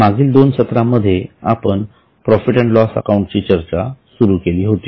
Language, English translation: Marathi, In the last statement or in the last session we had started with discussion on profit and loss account